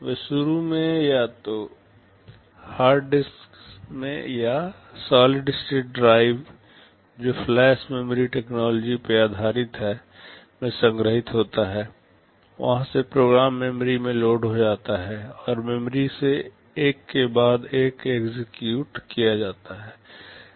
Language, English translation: Hindi, They are initially stored either in the hard disk or in solid state drive based on flash memory technology, from there the program gets loaded into memory and from memory the instructions for executed one by one